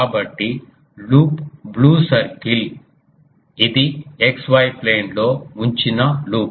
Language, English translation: Telugu, So, the loop is blue um circle that is a loop placed in the xy plane